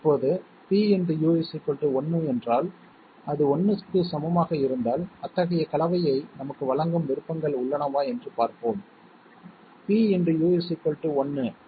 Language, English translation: Tamil, Now, if pU is equal to 1, if it is to be equal to 1, let us see whether we have options giving us such a combination, pU equal to 1